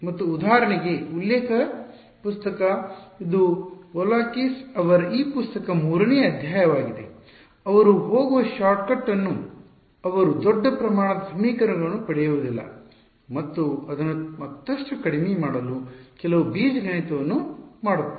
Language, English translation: Kannada, And the reference book for example, which is chapter 3 of this book by Volakis, they do not do the shortcut they go through get a larger system of equations then do some algebra to reduce it further